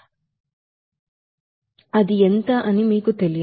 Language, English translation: Telugu, That is not known to you